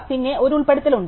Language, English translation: Malayalam, And then there is an insert